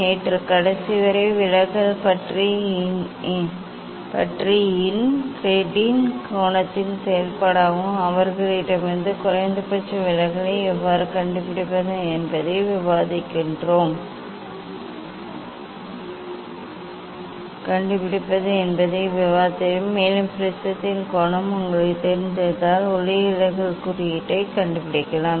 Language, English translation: Tamil, yesterday in last class in have discuss about the deviation as a function of incretin angle and of from theirs how to find out the minimum deviation and if you know the angle of prism then, you can find out the refractive index